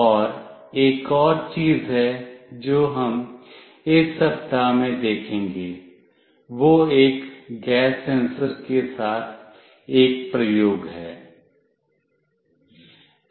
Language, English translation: Hindi, And there is one more thing that we will look into in this week is an experiment with a gas sensor